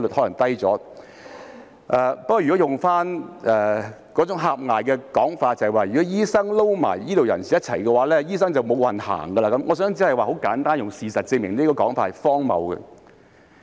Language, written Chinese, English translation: Cantonese, 如果套用那種狹隘的說法，就是如果醫生與醫療人員合併為一個界別，醫生便會"無運行"，我想簡單地用事實證明這種說法是荒謬的。, According to that narrow argument if medical practitioners and healthcare staff are merged into one sector medical practitioners will have no luck . I would like to simply use the facts to prove the absurdity of such an argument